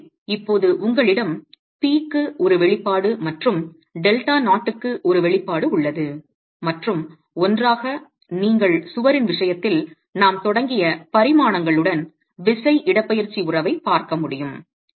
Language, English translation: Tamil, So now you have an expression for p and an expression for delta 0, and together you will be able to look at the force displacement relationship in the case of the wall with the dimensions as we started with